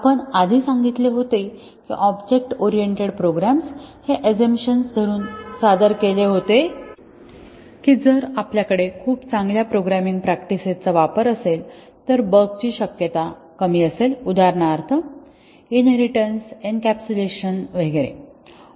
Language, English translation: Marathi, We had said earlier that object oriented programs were introduced with the assumption that if we have very good programming practices inculcated then the chances of bugs will be less, for example, inheritance encapsulation and so on